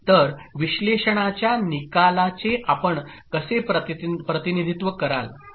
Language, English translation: Marathi, So how will you represent the analysis result